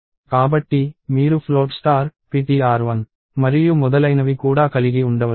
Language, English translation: Telugu, So, you could also have float star, ptr 1 and so, on